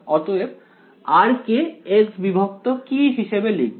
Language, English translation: Bengali, So, r will get substituted as x by